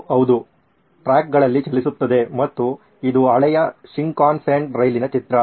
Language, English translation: Kannada, It runs on tracks yes and this is the picture of an oldish Shinkansen train